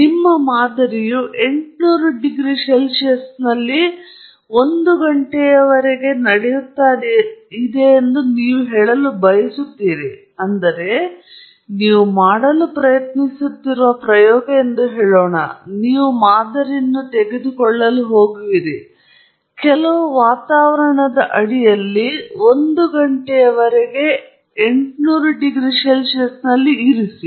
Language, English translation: Kannada, You want to say that your sample was at 800 degrees C for 1 hour; that is, let’s say, that’s the experiment that you are trying to do; that you are going to take the sample, keep it at 800 degrees C for 1 hour, under some atmosphere